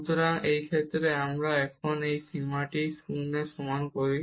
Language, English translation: Bengali, So, in this case we now let that this limit equal to 0